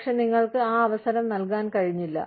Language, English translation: Malayalam, But, you could not be given that opportunity